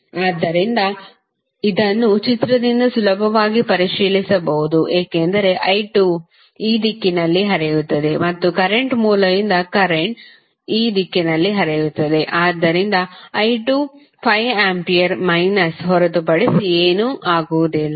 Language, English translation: Kannada, So, this you can easily verify from the figure because I 2 will flow in this direction and the current will from the current source will flow in this direction, so i 2 would be nothing but minus of 5 ampere